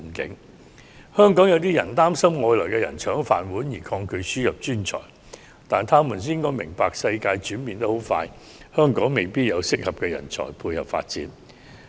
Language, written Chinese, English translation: Cantonese, 部分香港人擔心外來人才會搶去本地人的"飯碗"，因而抗拒輸入專才，但他們應該明白，世界急速轉變，香港未必有適合人才配合最新發展。, Some Hong Kong people worry that the rice bowl of local people will be taken away by foreign workers and they therefore resist the admission of talents . However they should understand that the world is changing rapidly and Hong Kong may not have suitable talents to cope with the latest development